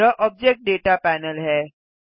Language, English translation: Hindi, This is the Object Data panel